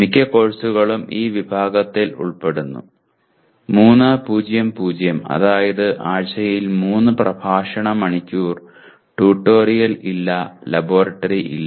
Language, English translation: Malayalam, Most of the courses fall into these categories like 3:0:0 which means 3 lecture hours per week, no tutorial, and no laboratory